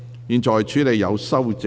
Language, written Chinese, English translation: Cantonese, 現在處理有修正案的條文。, I now deal with the clauses with amendments